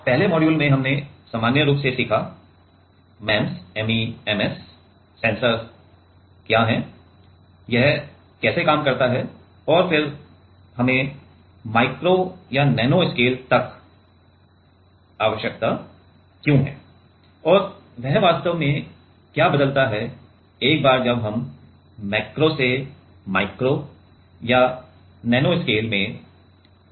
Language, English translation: Hindi, In the first module we learnt about in general, what is the MEMS sensor, how does it work and then why we need to go down to like micro or nano scale and what does it change actually in that once we are going from macro to micro or nano scale